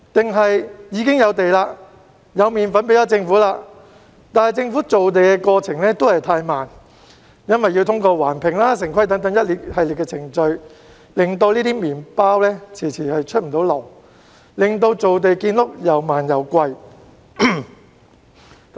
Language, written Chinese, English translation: Cantonese, 還是已經有土地、有"麵粉"給政府，只是政府造地的過程太慢，因要通過環評及城規等一系列程序而令"麵包"遲遲未能出爐，亦令造地建屋又慢又貴？, Or is it the slow land creation process on the part of the Government due to the requirements to complete a series of environmental impact assessment and town planning procedures that has lengthened the baking process of bread and made land creation and housing construction so slow and expensive despite the availability of land and flour?